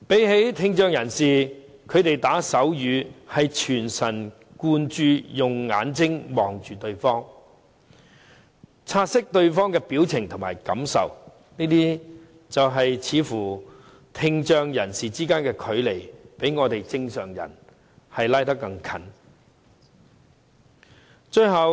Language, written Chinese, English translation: Cantonese, 與聽障人士相比，他們打手語是全神貫注，用眼睛看着對方，察悉對方的表情和感受，似乎聽障人士之間的距離，較正常人之間的距離更為接近。, They will look at one another to read peoples facial expressions and feelings . It seems as though people with hearing impairment are closer with one another than normal people